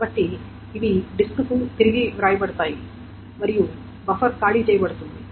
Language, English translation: Telugu, So this will be written back to the disk and the buffer will be emptied out